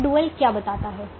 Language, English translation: Hindi, now what does the dual tell me